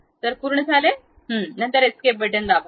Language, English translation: Marathi, So, done, then press escape